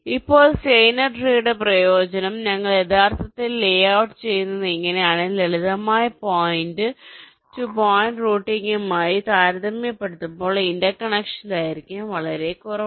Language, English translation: Malayalam, ok, now, the advantage of steiner tree is that this is how we actually do the layout and the interconnection length is typically less as compare to simple point to point routing